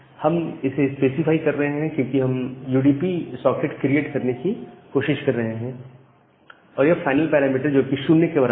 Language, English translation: Hindi, We are specifying because we are trying to create a UDP socket and final parameter is equal to 0